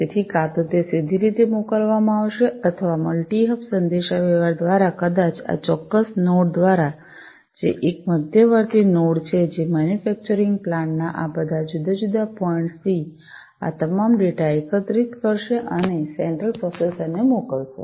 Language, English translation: Gujarati, So, either it is going to be sent directly or through multi hub communication maybe through this particular node which is a intermediate node, which is going to collect all this data from all these different points in the manufacturing plant, and send it over to the central processor